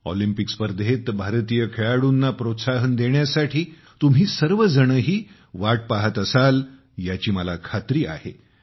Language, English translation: Marathi, I am sure that all of you would also be waiting to cheer for the Indian sportspersons in these Olympic Games